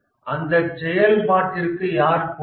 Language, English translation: Tamil, Who is responsible for a function